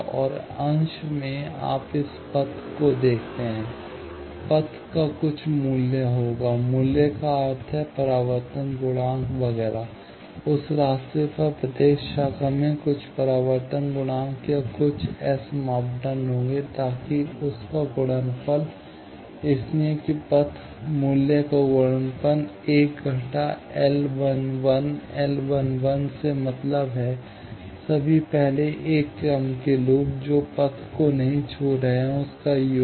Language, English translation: Hindi, And, in the numerator, you see this path; path will have some value; value means, the reflection coefficients, etcetera, on that path; each branch will have some reflection coefficient, or some S parameters, so that product of that; so that path value, multiplied by 1 minus this L 1 1, L 1 1 means, all first order loops which are not touching path 1; sigma of that